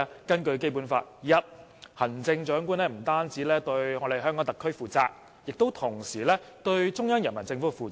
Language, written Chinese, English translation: Cantonese, 根據《基本法》：第一，行政長官不單對香港特區負責，亦同時對中央人民政府負責。, According to the Basic Law first the Chief Executive shall be accountable to not only the Hong Kong Special Administrative Region HKSAR but also the Central Peoples Government